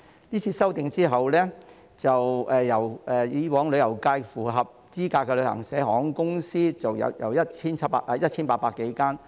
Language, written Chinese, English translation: Cantonese, 這次修訂後，以往旅遊界內符合資格的旅行社及航空公司數目將由 1,800 多間減至200多間。, After this amendment exercise the number of travel agents and airlines eligible for voter registration in the tourism FC will decrease from some 1 800 in the past to some 200